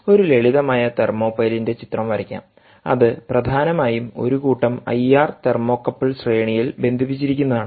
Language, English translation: Malayalam, let us draw the picture of a simple ah thermopile, which is essentially a set of series connected ah, i r, ah thermocouples